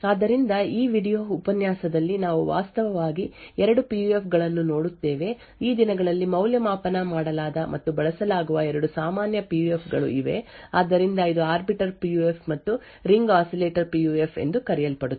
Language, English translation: Kannada, So, in this video lecture we will actually look at two PUFs; these are the 2 most common PUFs which are evaluated and used these days, So, this is the Arbiter PUF and something known as the Ring Oscillator PUF